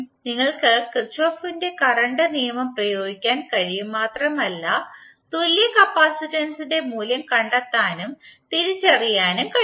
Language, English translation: Malayalam, You can simply apply Kirchhoff current law and you can find out the value of equivalent capacitance